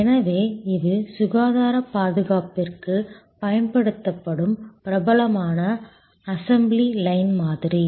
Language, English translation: Tamil, So, this is the famous assembly line model applied to health care